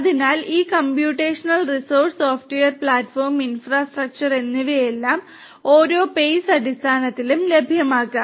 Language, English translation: Malayalam, So, all of these computational resources software, platform and infrastructure can be made available on a pay per use kind of basis